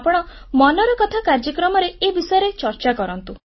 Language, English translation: Odia, Please speak about this on Mann ki Baat